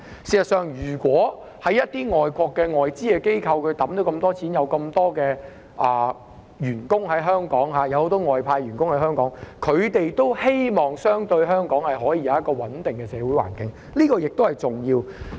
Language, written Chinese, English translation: Cantonese, 事實上，如果一些外資機構在香港投放大量資金，並有很多外派員工在港，他們也希望香港可以有一個相對穩定的社會環境，這也是重要的。, In fact if foreign corporations have made major investments in Hong Kong and posted many expatriate employees to Hong Kong they also hope that the social environment in Hong Kong can be relatively stable . This is also important